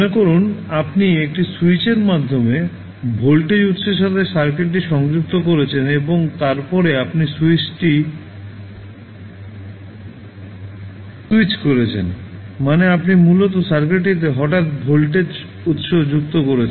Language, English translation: Bengali, So, you suppose you are connecting the circuit with the voltage source through a particular switch and then you switch on the switch means you are basically adding the voltage source suddenly to the circuit